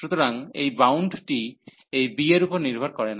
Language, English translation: Bengali, So, this bound is independent of this b